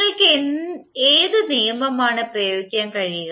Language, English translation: Malayalam, So which law you can apply